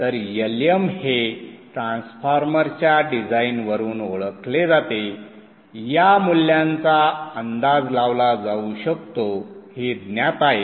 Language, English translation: Marathi, So this is this is known, LM is known from design of the transformer, this value can be estimated